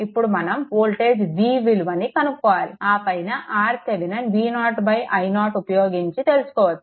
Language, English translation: Telugu, Then, find the voltage V 0 and R Thevenin is equal to V 0 by R 0